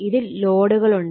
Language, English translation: Malayalam, So, loads are there